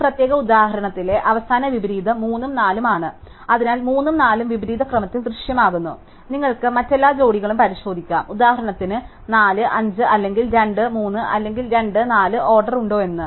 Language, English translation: Malayalam, And the final inversion in this particular example is 3 and 4, so 3 and 4 appear in opposite order, you can check therefore, every other pair for example, 4, 5 or 2, 3 or 2, 4 the order is preserved